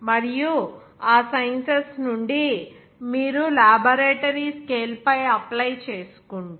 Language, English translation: Telugu, And from those sciences, if you are applying on a laboratory scale